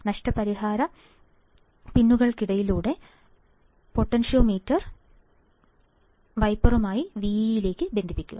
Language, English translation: Malayalam, And connect the potentiometer between the compensation pins with wiper to VEE